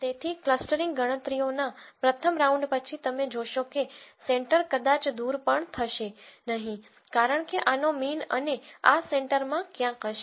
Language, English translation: Gujarati, So, after the first round of the clustering calculations, you will see that the center might not even move because the mean of this and this might be some where in the center